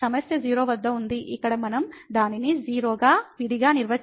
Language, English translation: Telugu, The problem is at 0 where we have to defined separately as 0